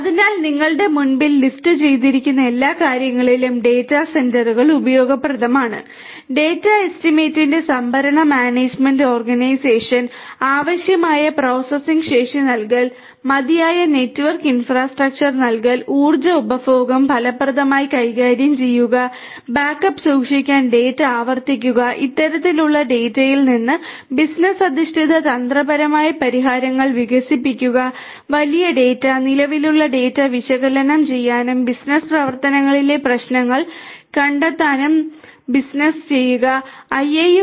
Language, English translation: Malayalam, So, data centres are useful in all of these things that you see listed in front of you, storage management organisation of the data estimating and providing necessary processing capacity, providing sufficient network infrastructure, effectively managing energy consumption, repeating the data to keep the backup, developing business oriented strategic solutions from this kind of data the big data, helping the business personal to analyse the existing data and discovering problems in the business operations